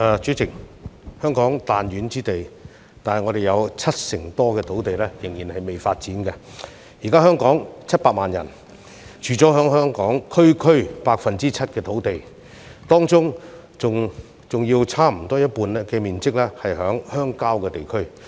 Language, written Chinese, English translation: Cantonese, 主席，香港是彈丸之地，但卻有七成多土地尚未發展，現時的700萬人口是居住在區區 7% 的土地之上，當中更有差不多一半屬鄉郊地區。, President Hong Kong is an extremely tiny place but more than 70 % of its land has been left undeveloped . The current population of 7 million is occupying only 7 % of our land while almost half of the land in Hong Kong is rural areas